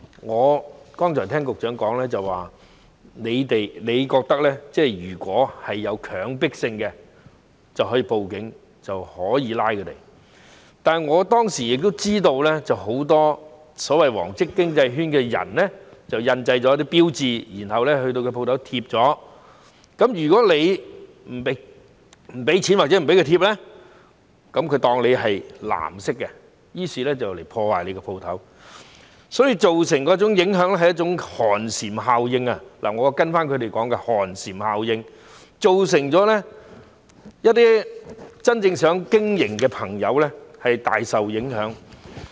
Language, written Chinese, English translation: Cantonese, 我剛才聽到局長說，你如果覺得有強迫性，便可以報警拘捕他們，但我當時也知道，很多所謂"黃色經濟圈"的人印製了一些標誌，然後前往店鋪張貼，如果你不給錢或不讓他們貼，便被當成是"藍色"，於是前來破壞商鋪，所以造成一種寒蟬效應——我是跟隨他們的說法，即寒蟬效應——造成一些真正想經營的朋友大受影響。, I have just heard the Secretary saying that if you find it coercive you can call the Police to arrest them but I also knew at that time that many people in the so - called yellow economic circle had printed some labels and posted them at any shops . If you did not pay or did not let them post them you were regarded as blue and your shop would be vandalized causing a kind of chilling effect―I am quoting their words namely chilling effect―and some friends who really wanted to do business were greatly affected